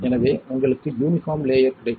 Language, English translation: Tamil, So, you have a nice uniformed layer